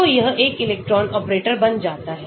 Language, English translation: Hindi, so it becomes one electron operator